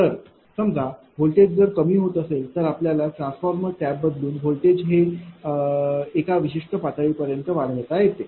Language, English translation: Marathi, So, suppose voltage is going down you have to change the tap the transformer such that, voltage can be raised to certain level, right